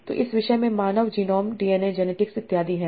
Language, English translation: Hindi, So this topic had human genome DNA genetics and so on